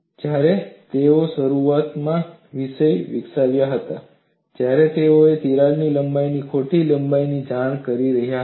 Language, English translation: Gujarati, When they were initially developing the subject, they were reporting wrong lengths of crack lengths